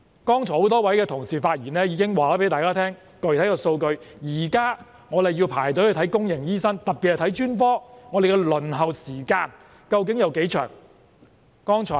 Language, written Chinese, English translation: Cantonese, 剛才多位發言的同事已經向大家提供了具體數據，現時若要輪候看公營醫院醫生，特別是專科，輪候時間究竟有多長呢？, Earlier on a number of Members who have spoken already provided some specific statistics to us . How long is the waiting time for consultation especially with a specialist in public hospitals now?